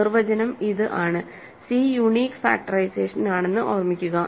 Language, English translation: Malayalam, So, the definition is c, remember this is the unique factorization